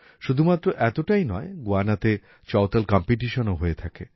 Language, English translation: Bengali, Not only this, Chautal Competitions are also held in Guyana